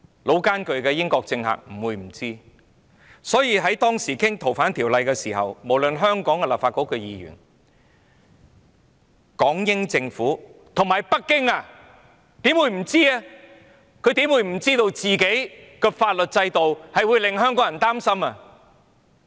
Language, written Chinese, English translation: Cantonese, 老練的英國政客不會不知道，所以當時討論《逃犯條例草案》時，無論是香港的立法局議員、港英政府或北京，怎會不知道內地的法律制度令香港人擔心？, The veteran politicians of the United Kingdom were not ignorant . Hence in the discussion of the Fugitive Offenders Bill back then how would the Legislative Council Members of Hong Kong the Hong Kong British Government and the Beijing Government not be aware that Hong Kong people were worried about the legal system of the Mainland?